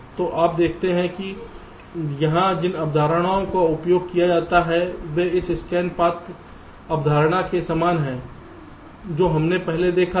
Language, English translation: Hindi, so you see that the concepts which are used here are very similar to this scan path concept that we had seen just earlier